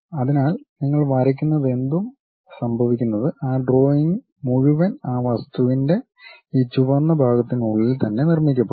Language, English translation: Malayalam, So, whatever you are drawing happens that entire drawing you will be constructed within this red portion of that object